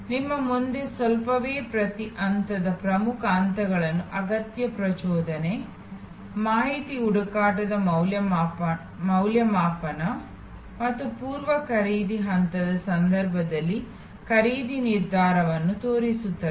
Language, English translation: Kannada, The slight in front of you shows the key steps in each stage like the need arousal, information search evaluation and purchase decision in case of the pre purchase stage